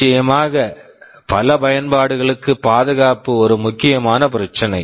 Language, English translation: Tamil, And of course, safety is an important issue for many applications